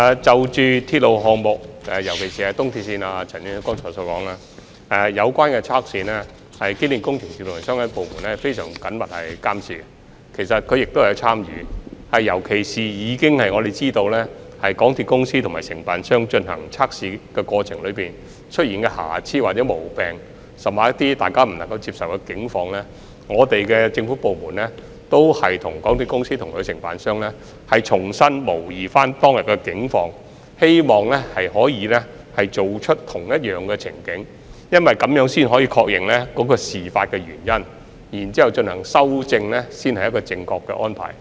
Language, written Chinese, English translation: Cantonese, 就着鐵路項目，尤其是東鐵綫，正如陳議員剛才所說，有關的測試受到機電署和相關部門非常緊密的監察，並且也有參與，尤其是我們知道就港鐵公司和承辦商進行測試的過程中，出現的瑕疵或毛病甚或一些大家不能接受的情況，政府部門也會與港鐵公司及其承辦商重新模擬當天的情況，希望可以重構相同情景，因為這樣才可以確認事發原因並進行修正，這才是正確的安排。, With regard to railway projects EAL in particular as Mr CHAN said earlier the relevant tests are closely monitored by EMSD and relevant departments which are also involved . Particularly we know that in the course of the tests conducted by MTRCL and the Contractor if there are defects or faults or even unacceptable situations the government departments concerned will simulate the situation on that day with MTRCL and the Contractor to recreate a similar scenario for this is the only way to identify the causes of the incidents and make rectification